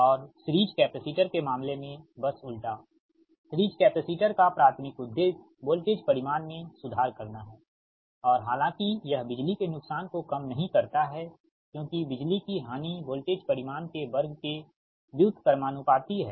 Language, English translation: Hindi, also, and in the case of series capacitor, just reverse, series capacitors, primary objective is to improve the voltage magnitude and, though not much, it reduce the power losses, because power loss is inversely proportional to the square of the voltage magnitude